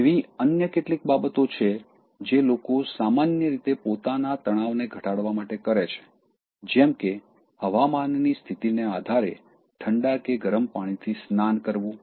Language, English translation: Gujarati, There are other things that people generally do to reduce their stress that will also come out of impotent anger, such as, taking bath in cold water or hot water depending upon the weather conditions